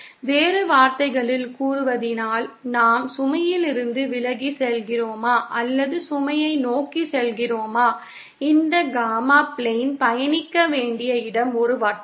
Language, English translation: Tamil, In other words whether we are moving away from the load or towards the load, the locus that we will be traversing on this Gamma plane is that of a circle